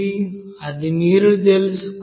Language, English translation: Telugu, That you have to find out